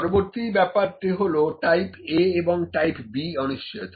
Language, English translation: Bengali, Next is Type A and Type B uncertainties